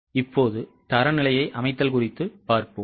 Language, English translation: Tamil, Now, setting the standard